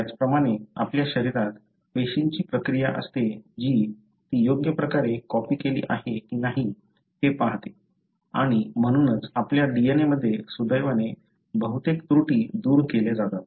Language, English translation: Marathi, Similarly, in our body, cells have process which look through whether it is copied properly or not and that is why most of the errors are removed in your DNA, fortunately